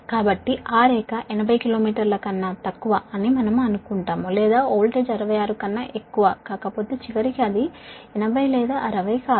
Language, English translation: Telugu, ah, so we will assume that line is less than eighty kilometer long, or if the voltage is not our, sixty six, ah, ultimately it is not eighty or sixty